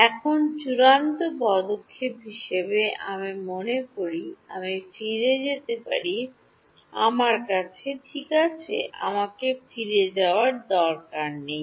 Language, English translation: Bengali, Now, as the final step, I can go back to my supposing I go back to my, well I do not need to go back